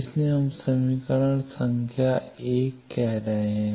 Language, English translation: Hindi, So, we are calling it equation number 1